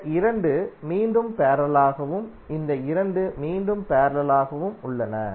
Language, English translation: Tamil, These 2 are again in parallel and these 2 are again in parallel